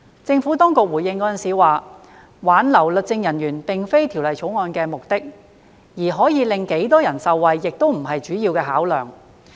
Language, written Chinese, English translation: Cantonese, 政府當局回應時表示，挽留律政人員並非《條例草案》的目的，而可令多少人受惠亦非主要考量。, The Administration replied that the retention of legal officers was not the objective of the Bill and the number of persons who might benefit from the Bill was not a major consideration either